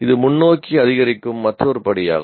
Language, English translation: Tamil, This is just another incremental step forward